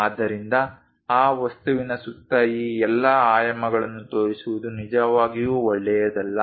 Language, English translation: Kannada, So, it is not a good idea to really show all these dimensions around that object